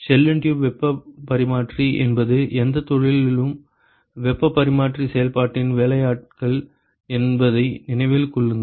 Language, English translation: Tamil, Remember that shell and tube heat exchanger is actually the workhorse of heat exchange process in any industry